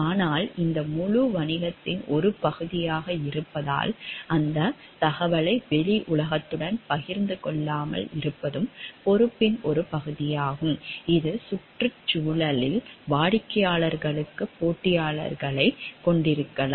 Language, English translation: Tamil, But being a part of this whole business, it is a part of the responsibility also not to share those information with outside world which may have competitors for the clients also in the environment